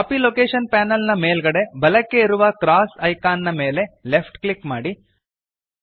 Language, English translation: Kannada, Left click the cross icon at the top right corner of the Copy location panel